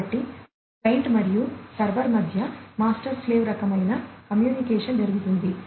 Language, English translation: Telugu, So, master slave kind of communication takes place between the client and the server